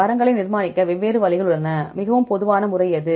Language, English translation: Tamil, There are different ways to construct the trees; what is the most common method right